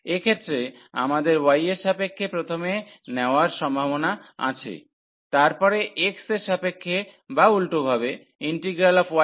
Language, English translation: Bengali, So, in this cases we have either the possibility of taking first with respect to y, then with respect to x or the other way round